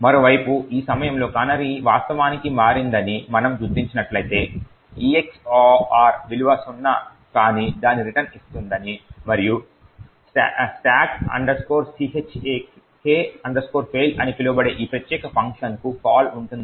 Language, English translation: Telugu, On the other hand, if at this point we detect that the canary has indeed changed it would mean that the EX OR value would return something which is non zero and then there would be a call to this particular function called stack check fail